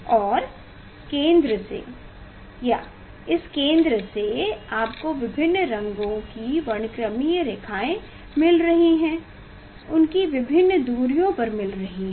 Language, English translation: Hindi, And from the center; from the center at which distance you are getting at which distance you are getting the spectral lines of different colors